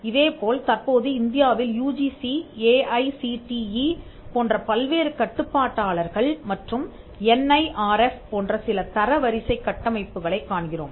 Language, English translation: Tamil, In India currently we find that various regulators like the UGC, AICTE and some ranking frameworks like the NIRF